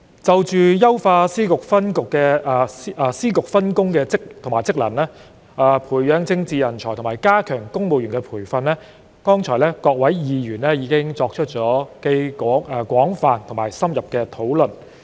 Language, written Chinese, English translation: Cantonese, 就優化司局分工及職能、培養政治人才及加強公務員培訓方面，各位議員剛才已作出既廣泛且深入的討論。, Just now Members already had an extensive and in - depth discussion about improving the division of work and functions among various Secretaries Offices and Bureaux nurturing political talents and enhancing training of civil servants